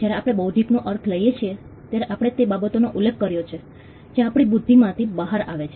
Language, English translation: Gujarati, When we mean intellectual, we referred to things that are coming out of our intellect